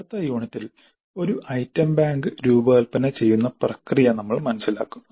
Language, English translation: Malayalam, So, in our next unit we will understand the process of designing an item bank